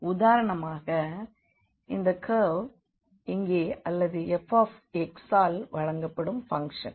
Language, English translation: Tamil, So, for instance we have this curve here or the function which is given by f x